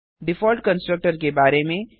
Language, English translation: Hindi, Default constructor has no parameters